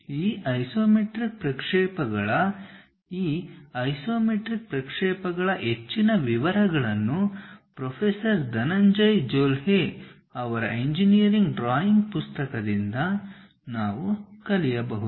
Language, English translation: Kannada, More details of this iso isometric projections, we can learn from the book Engineering Drawing by Professor Dhananjay Jolhe